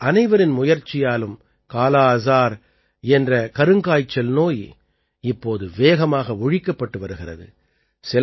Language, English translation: Tamil, But with everyone's efforts, this disease named 'Kala Azar' is now getting eradicated rapidly